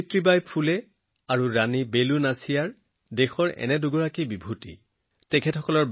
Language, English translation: Assamese, Savitribai Phule ji and Rani Velu Nachiyar ji are two such luminaries of the country